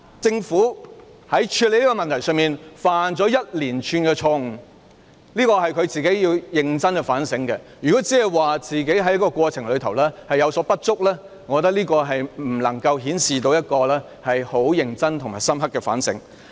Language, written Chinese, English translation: Cantonese, 政府在處理這個問題上犯了一連串的錯誤，這是當局要認真反省的，如果當局僅表示在過程中有所不足，我認為未能反映當局有認真和深刻的反省。, The Government has made a series of mistakes in handling this issue and the authorities should seriously conduct some soul - searching . If the authorities only admitted inadequacies on their part in the process I think this cannot show that the authorities have made serious in - depth introspection